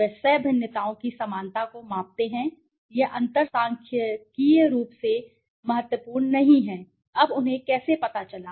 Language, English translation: Hindi, They measure the equality of co variances this differences are not statistically significant, now how did they know